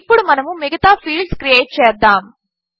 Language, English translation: Telugu, Let us create the rest of the fields now